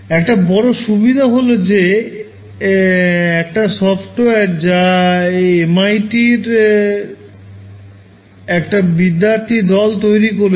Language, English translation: Bengali, So, one big advantage of it is a software made by a academic group at MIT